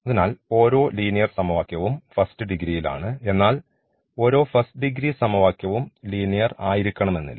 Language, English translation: Malayalam, So, every linear equation is of first degree, but not every first degree equation will be a linear